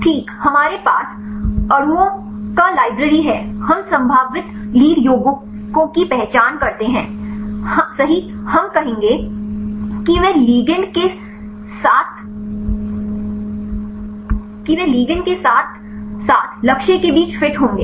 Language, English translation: Hindi, identify hit in library of molecules Right we have library of molecules right we identify the potential lead compounds right we will to say fit between the ligand as well as target